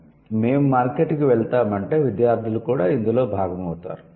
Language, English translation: Telugu, So, we will go to the market means the students are also going to be a part of this we